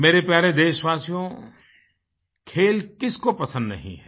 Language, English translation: Hindi, My dear countrymen, who doesn't love sports